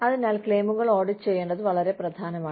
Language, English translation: Malayalam, Okay So, it is very important, to audit the claims